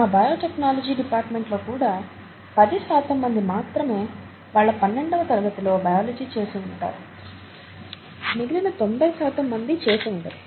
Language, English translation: Telugu, Even in our own department, biotechnology, as it is called; the students who come into biotechnology, about ten percent would have done biology in their twelfth standard, ninety percent would not have